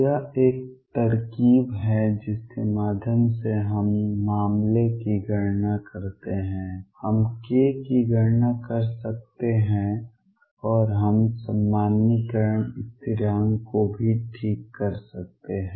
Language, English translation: Hindi, This is a trick through which we count case we can enumerate k and we can also fix the normalization constant